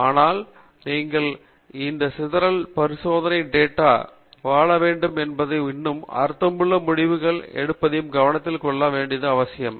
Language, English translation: Tamil, But it’s very important to note that you have to live with this scatter experimental data and still draw meaningful conclusions